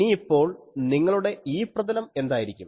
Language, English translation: Malayalam, So, now your what will be your E plane thing